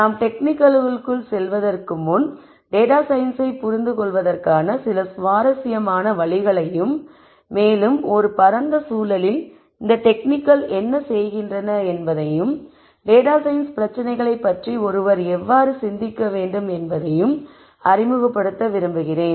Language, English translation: Tamil, Before we jump into the techniques I would like to introduce some interesting ways of looking at data science and in a broader context understand what these techniques are doing and how one should think about data science problems